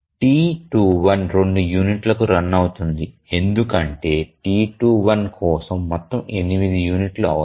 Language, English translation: Telugu, The T2 runs for two units because the total requirement for T2 is 8 units